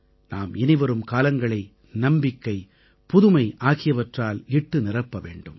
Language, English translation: Tamil, We have to infuse times to come with new hope and novelty